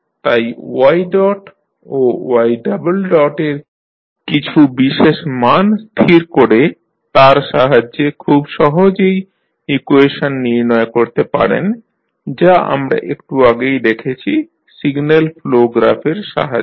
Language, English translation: Bengali, So, with the help of assigning the particular values of y dot and y double dot you can simply find out that the equation which we just saw can be represented with the help of signal flow graph